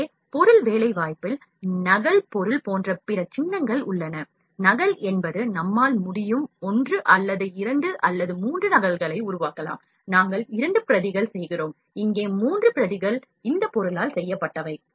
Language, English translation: Tamil, Here in object placement, there are other icons like copy object, copy is like we can make 1 or 2 or 3 copies like, we are making 2 copies the 3 copies are made of this object